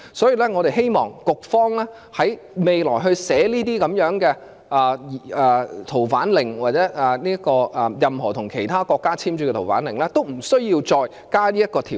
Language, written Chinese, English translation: Cantonese, 因此，我們希望局方在未來撰寫《逃犯令》或任何與其他國家簽署的移交逃犯命令時不要再加入此條款。, Therefore we hope that the Administration should not include this provision in the drafting of the Fugitive Offenders France Order or any other fugitive orders to be concluded with other countries in future